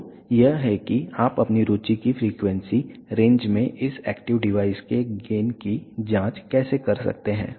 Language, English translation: Hindi, So, this is how you can check the gain of this active device in the frequency range of your interest